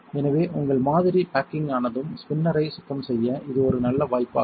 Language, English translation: Tamil, So, once your sample is baking this is a good opportunity to start cleaning the spinner